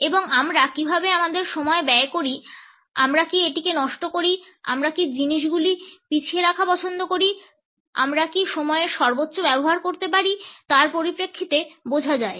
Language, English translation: Bengali, And these can be understood in terms of how do we spend our time, do we waste it, do we keep on postponing things, are we able to utilize the time to its maximum